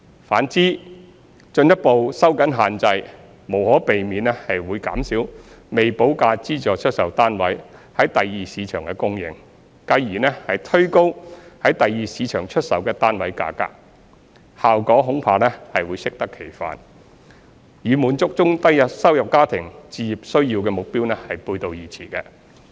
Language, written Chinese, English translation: Cantonese, 反之，進一步收緊限制無可避免會減少未補價資助出售單位在第二市場的供應，繼而推高在第二市場出售的單位價格，效果恐怕會適得其反，與滿足中低收入家庭置業需要的目標背道而馳。, On the contrary further tightening the restrictions will inevitably reduce the supply of SSFs with premium unpaid in the Secondary Market thereby driving up the prices in the Secondary Market . This will counteract the intention of curbing price increase which goes against the objective of addressing the home ownership aspirations of low - to middle - income families